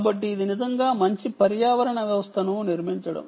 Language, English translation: Telugu, so it really is a nice ecosystem building up